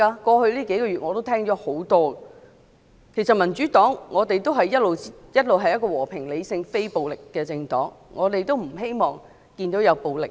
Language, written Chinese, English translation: Cantonese, 過去數個月，我已多次聽到這類說話，其實民主黨一直是和平、理性、非暴力的政黨，我們不希望看到暴力行為。, I have often heard such remarks over the past few months . In fact the Democratic Party has always been a peaceful rational and non - violent political party . We do not want to see any violent behaviour